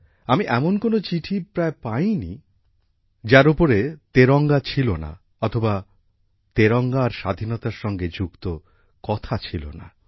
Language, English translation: Bengali, I have hardly come across any letter which does not carry the tricolor, or does not talk about the tricolor and Freedom